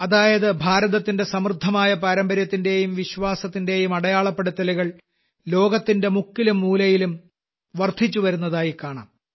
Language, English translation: Malayalam, That is, the rich heritage of India, our faith, is reinforcing its identity in every corner of the world